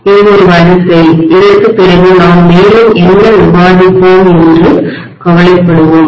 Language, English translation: Tamil, This is a sequence, after this we will worry about what further we will discuss, okay